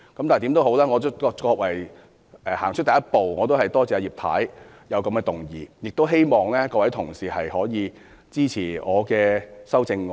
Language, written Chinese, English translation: Cantonese, 無論如何，這也是走出了第一步，我多謝葉太提出這項議案，亦希望各位同事支持我的修正案。, No matter how we have taken the first step . I thank Mrs IP for proposing this motion and I urge Honourable colleagues to support my amendment